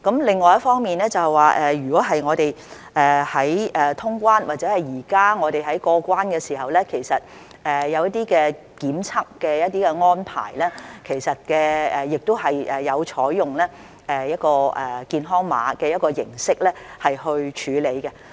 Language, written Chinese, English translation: Cantonese, 另一方面，我們在通關或者現在我們在過關時，都有檢測的安排，其實也有採用健康碼的形式來處理。, On the other hand during traveller clearance or when we go through customs at present we have to undergo a testing arrangement in which in fact the form of health code has also been adopted